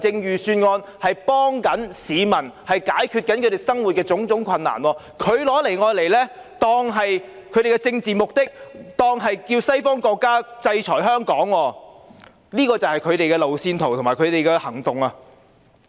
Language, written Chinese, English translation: Cantonese, 預算案是要幫助市民解決生活上的種種困難，但他們卻利用預算案達到他們的政治目的，叫西方國家制裁香港，這就是他們的路線圖和行動。, The purpose of the Budget is to help members of public ride over their difficulties and yet they were trying to take advantage of the Budget to achieve their political ends by asking the western countries to impose sanction on Hong Kong . This is their road map and action